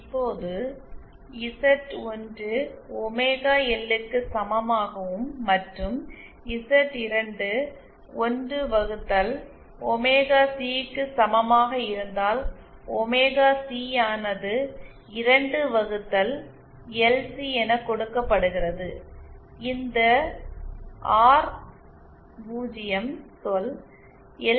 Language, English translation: Tamil, Now suppose if Z1 is equal to omega L and Z2 is equal to 1 upon omega C, then omega C, this term is given by this relation 2 upon LC and this R 0 term is written by square root of LC, that should be J